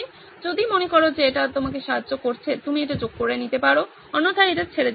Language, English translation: Bengali, If you think it is helping you, you can add it, otherwise leave that